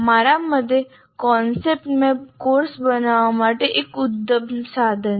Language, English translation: Gujarati, In my personal opinion, concept map is a great thing to create for a course